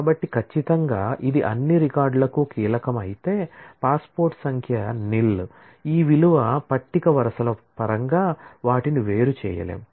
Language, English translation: Telugu, So, certainly if this were to be the key then for all records, for which passport number is nil, this value would not be able to distinguish them in terms of the rows of the table